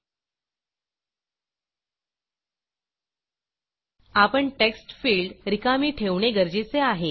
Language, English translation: Marathi, We should also leave the Textfield places blank